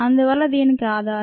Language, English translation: Telugu, so that is the bases for this